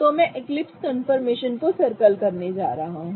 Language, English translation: Hindi, So, I'm going to circle my eclipsed confirmations